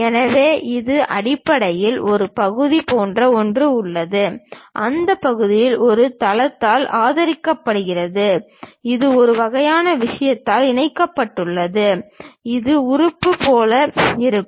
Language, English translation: Tamil, So, this basically, there is something like a part and that part is supported by a base and this is connected by a flange kind of thing, this is the way that element really looks like